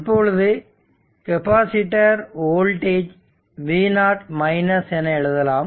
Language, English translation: Tamil, But, we assume that this capacitor initially was charge at v 0